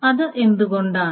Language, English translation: Malayalam, So why is it